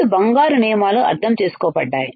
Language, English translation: Telugu, Two golden rules understood